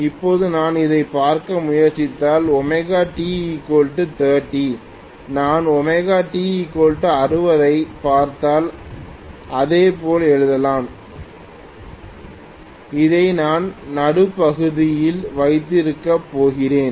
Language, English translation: Tamil, Now, if I try to look at this is at omega T equal 30, if I look at omega T equal to 60 degrees, I can similarly write I am going to have this as the mid position